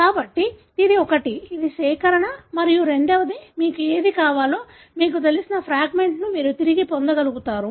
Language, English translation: Telugu, So, this is one, it is collection and second, you will be able to retrieve whichever, you know, fragment that you want